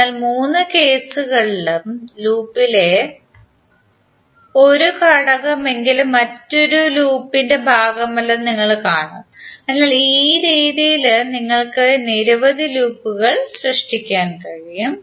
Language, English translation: Malayalam, So in all the three cases you will see that at least one element in the loop is not part of other loop, So in that way you can create the number of loops